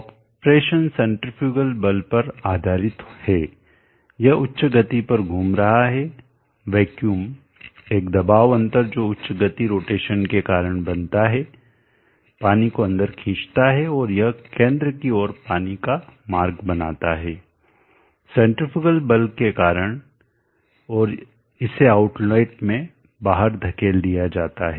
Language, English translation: Hindi, The operation is based on the centrifugal force, this is rotating at high speed, the vacuum at pressure difference that is created due to the high speed rotation sucks in the water and it roots the water towards the center